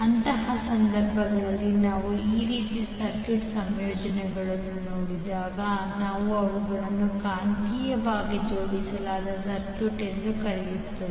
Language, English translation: Kannada, So in those cases when we see those kind of circuit combinations we call them as magnetically coupled circuit